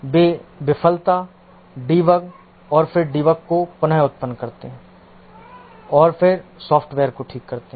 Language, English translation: Hindi, They reproduce the failure, debug and then correct the software